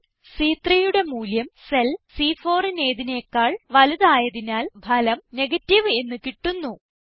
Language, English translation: Malayalam, Since the value in cell C3 is greater than the value in cell C4, the result we get is TRUE